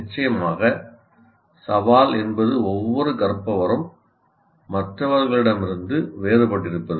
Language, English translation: Tamil, Of course the challenge is each learner is different from the other